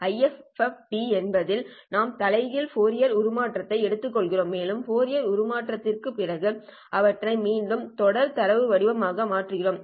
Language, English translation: Tamil, So these complex data are then IFFD, that is we take a inverse Fourier transform and after inverse Fourier transform we'll convert them again back into the serial data format